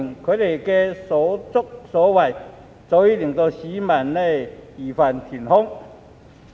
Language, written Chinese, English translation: Cantonese, 他們的所作所為，早已令市民義憤填膺。, What they have done has long evoked a sense of righteous indignation among the people